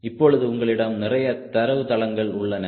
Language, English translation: Tamil, so you have got lot of database now